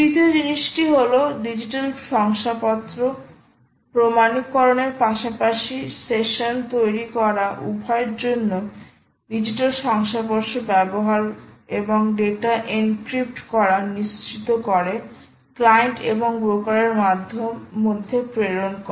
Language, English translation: Bengali, third thing is: use huge certificates, digital certificates, both for authentication as well as for creating sessions and ensuring that data is encrypted and send between the client and the broker